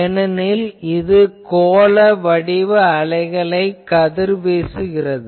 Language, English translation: Tamil, This is because they are radiating spherical waves